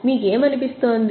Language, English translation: Telugu, What do you feel